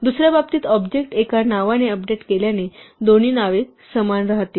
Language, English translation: Marathi, In the second case, updating the object to either name is going to result in both names continuing to be equal